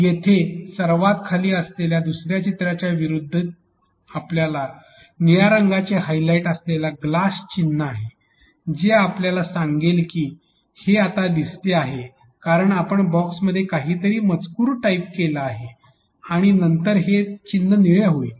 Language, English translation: Marathi, As against in the second picture which is at the bottom here you have magnifying glass icon also with a highlight of blue which will tell you that now this is visible because you have typed something text some text inside this box and now this icon becomes blue after you type something which tells you that